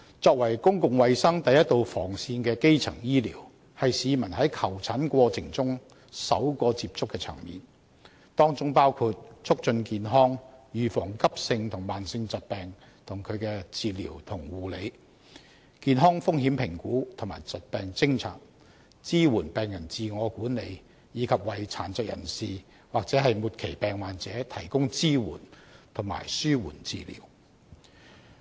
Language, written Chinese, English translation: Cantonese, 作為公共衞生第一道防線的基層醫療，是市民在求診過程中首個接觸的層面，當中包括促進健康、預防急性和慢性疾病及其治療和護理、健康風險評估及疾病偵察、支援病人自我管理，以及為殘疾人士或末期病患者提供支援和紓緩治療。, As the first line of defence in public health primary health care is the first tier which people get into touch in the process of seeking medical consultation . It includes health promotion the prevention and treatment of acute and chronic diseases together with medical care health risk assessment and disease identification support for patients self - management and also the provision of support and palliative care for persons with disabilities or patients with terminal illnesses